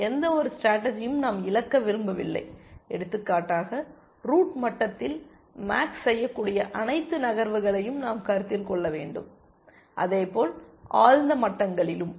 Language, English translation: Tamil, We want to not miss out on any strategies so, for example, at the root level, we must consider all possible moves that max makes, and likewise at deeper levels essentially